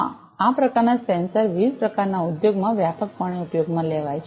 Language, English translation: Gujarati, Yes these kind of sensors are widely used in different kind of industries